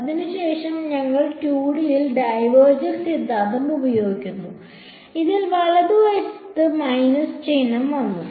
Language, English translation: Malayalam, And then after that we use the divergence theorem in 2D and that came with a minus sign right